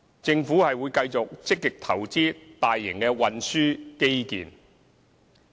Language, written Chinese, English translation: Cantonese, 政府會繼續積極投資大型運輸基建。, The Government will continue to invest actively in major transport infrastructure